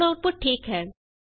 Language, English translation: Punjabi, The output is now correct